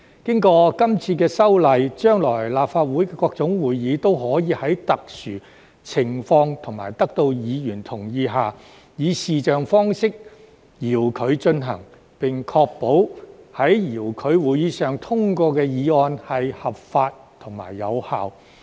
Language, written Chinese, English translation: Cantonese, 經過今次修例，將來立法會各種會議都可以在特殊情況及得到議員同意下，以視像方式遙距進行，並確保在遙距會議上通過的議案合法及有效。, Following the current legislative amendment exercise all sorts of future meetings of the Legislative Council may be conducted remotely by video conference in exceptional circumstances and with the consent of Members while the legality and validity of the motions passed at such remote meetings are ensured